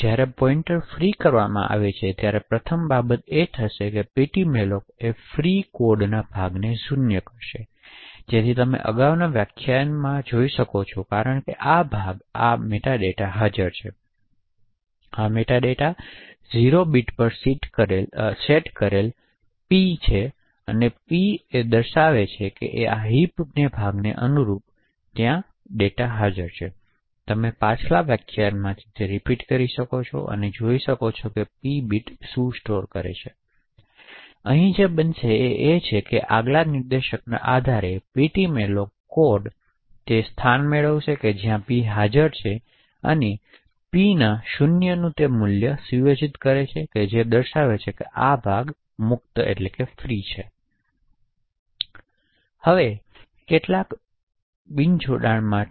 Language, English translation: Gujarati, So when free pointer is called the first thing that would happen is that the ptmalloc free code would first set the size of the free chunk to 0, so as you can be collect from the previous lecture the size of the chunk is present in the metadata, so this metadata is set to 0 next the p bit is set to 0, so the p bit corresponds to the next chunk which is present in the heap and as you can recollect from the previous lecture the p bit stores whether the previous junk was allocated or freed